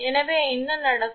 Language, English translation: Tamil, Therefore, what will happen